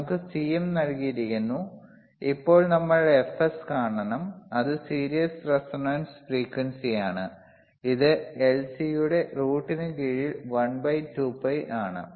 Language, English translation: Malayalam, wWe are given C mm, now we have to see f Fs f s, which is series resonant frequency series resonant frequency f is nothing, but, which is 1 by 2 pi under root of L C